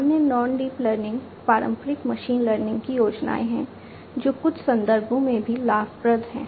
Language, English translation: Hindi, There are other non deep learning, the traditional machine learning schemes, which are also advantageous in certain contexts